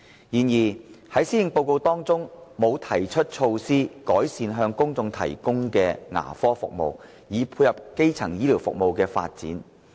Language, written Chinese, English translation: Cantonese, 然而，《施政報告》沒有提出措施，改善向公眾提供的牙科服務，以配合基層醫療服務的發展。, However the Policy Address has not put forward any measures to improve the dental services provided to the general public to dovetail the development of primary healthcare services